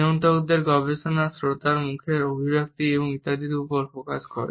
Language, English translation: Bengali, The studies of regulators focus on the facial expressions, etcetera in the listener